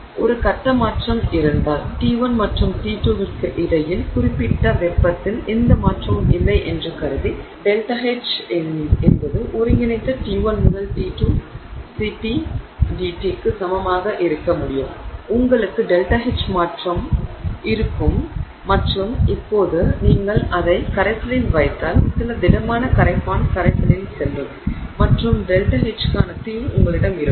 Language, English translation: Tamil, So, you can have delta H is equal to integral T1 to T2, CPDT, assuming that there is no change in the specific heat between T1 and T2, if there is a phase transformation you will have delta H transformation and if the since you are now put it into solution some solute went into solution you have delta H solution